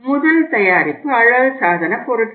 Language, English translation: Tamil, First product was cosmetics